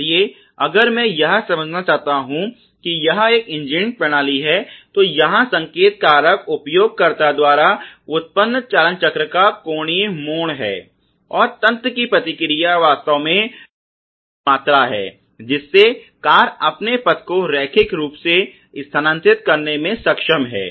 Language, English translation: Hindi, So, if I want to understand this is an engineering system, we will see that the signal factor here is the angular twist or turn of the steering wheel generated by the user and the response of the system is the actually the amount of degrees that the car is able to bend its track from moving it linearly